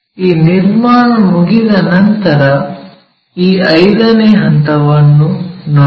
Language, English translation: Kannada, Once these construction is done, look at this step 5